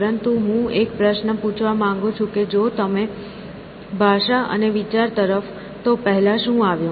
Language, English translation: Gujarati, But, the question that I want to ask is if you look at language and thought, what came first